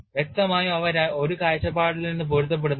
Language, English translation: Malayalam, Obviously, they do not match from one point of view